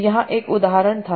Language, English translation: Hindi, So here was one example